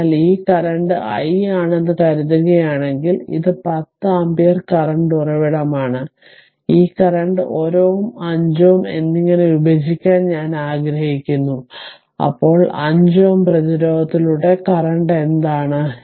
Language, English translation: Malayalam, So, if suppose this current suppose if it is i if it is i, then this this is the 10 ampere current source, I want to divide this current in ah 1 ohm and 5 ohm then what is the current through the 5 ohm resistance